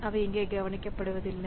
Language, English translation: Tamil, So, they are not taken care of here